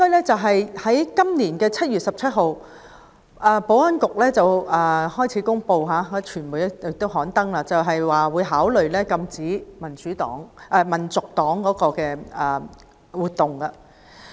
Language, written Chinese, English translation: Cantonese, 在今年的7月17日，保安局公布並向傳媒表示會考慮禁止香港民族黨的活動。, On 17 July this year the Security Bureau announced and told the media that it would consider banning the activities of the Hong Kong National Party